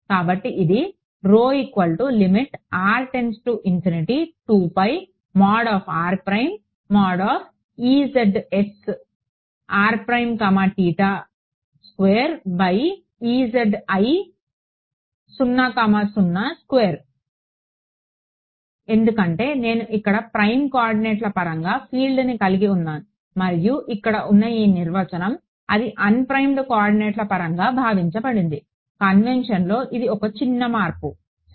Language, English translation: Telugu, That is because, I had the field here in terms of prime coordinates and this definition over here assumed it was in term of unprimed coordinates, just a small change in convection ok